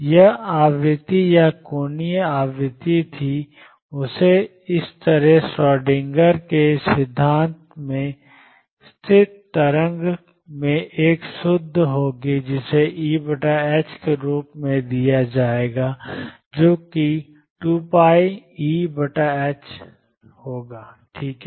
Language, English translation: Hindi, And that was frequency or angular frequency was omega in the same manner the stationary waves in Schrödinger’s theory will have a pure omega which will be given as E over h cross which is same as 2 pi E over h ok